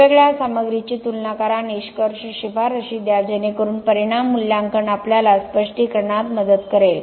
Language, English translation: Marathi, Compare different materials, give conclusions recommendations so there the impact assessment will help us in the interpretation ok